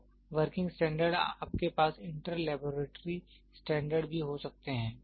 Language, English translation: Hindi, So, working standard you can also have inter laboratory standard